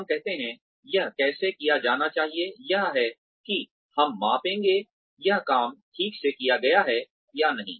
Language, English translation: Hindi, When we say, this is how, it should be done, this is how, we will measure, whether this job has been done properly or not